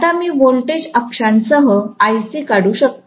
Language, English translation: Marathi, Now, I can draw Ic along the voltage axis